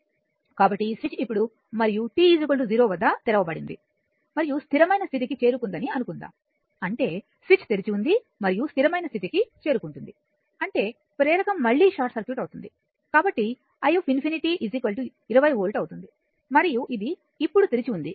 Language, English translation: Telugu, So, this switch is opened now and at t is equal to 0 and suppose a steady state is reached; that means, switch is open and steady state is reached means inductor again will be short circuit therefore, my i infinity will be is equal to 20 volt and this is open now